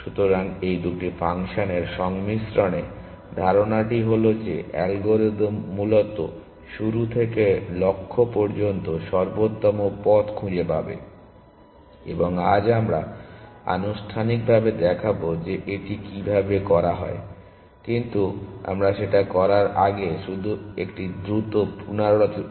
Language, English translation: Bengali, So, with the combination of these two functions, the idea is that the algorithm will find optimal paths from start to the goal essentially and today we will show formally that this is how this is done; but before we do that, just a quick recap